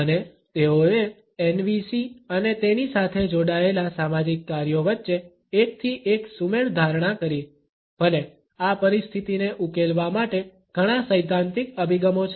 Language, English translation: Gujarati, And, they assumed a one to one correspondence between NVC’s and its associated social functions, even though there are many theoretical approaches to address this situation